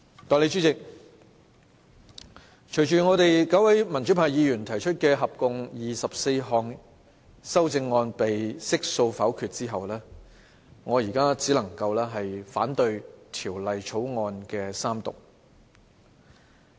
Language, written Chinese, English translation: Cantonese, 代理主席，隨着合共24項由9位民主派議員提出的修正案被悉數否決後，我現在只能夠反對《條例草案》三讀。, Deputy President since all the 24 amendments proposed by the nine pro - democracy Members have been negatived what I can still do is just to oppose the Third Reading of the Bill